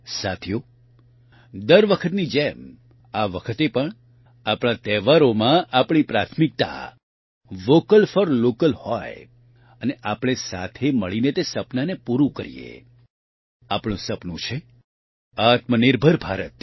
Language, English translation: Gujarati, Friends, like every time, this time too, in our festivals, our priority should be 'Vocal for Local' and let us together fulfill that dream; our dream is 'Aatmnirbhar Bharat'